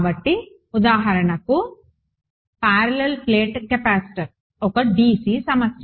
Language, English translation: Telugu, So, for example, parallel plate capacitor, a dc problem